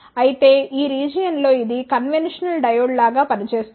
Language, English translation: Telugu, However, in this region it acts like a conventional diode